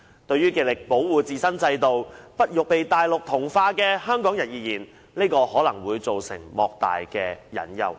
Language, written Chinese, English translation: Cantonese, 對於極力保護自身制度，不欲被內地同化的香港人而言，這可能會帶來莫大的隱憂。, This is perhaps a great hidden worry to those Hong Kong people who have endeavoured to protect our own system and who do not want to be assimilated by the Mainland